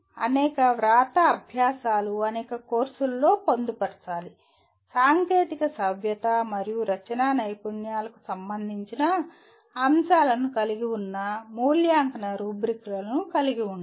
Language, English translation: Telugu, Several writing exercises should be embedded into a number of courses with evaluation rubrics having elements related to correctness, technical correctness and writing skills